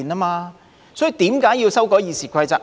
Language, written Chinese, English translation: Cantonese, 所以，為何要修改《議事規則》？, So why is it necessary to amend the Rules of Procedure?